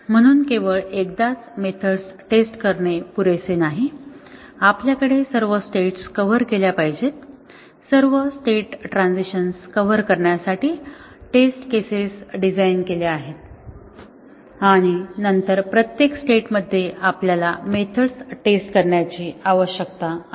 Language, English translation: Marathi, So, it is not just enough to test the methods once, we have all the states covered, design test cases to cover all state transitions and then in each state we need to test the methods